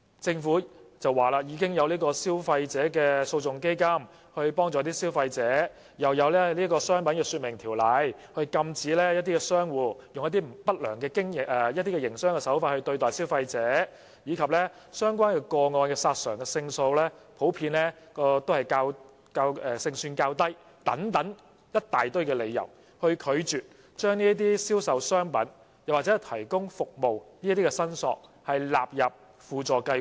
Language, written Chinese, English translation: Cantonese, 政府說已有消費者訴訟基金協助消費者，又有《商品說明條例》禁止商戶以不良營商手法對待消費者，並指相關個案的索償勝算普遍較低等一大堆理由，拒絕把關於銷售商品及提供服務的申索納入輔助計劃。, The Government advises that the Consumer Legal Action Fund is available to help consumers and the prohibition for unfair trade practices deployed by trades against consumers has already been set out under the Trade Descriptions Ordinance . The Administration has based on a number of reasons such as that the claims for the relevant cases have lower success rates to refuse including claims arising out of sale of goods and provision of services under SLAS